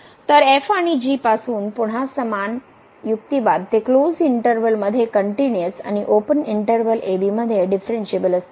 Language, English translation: Marathi, So, again the similar argument since and they are continuous in closed interval and differentiable in the open interval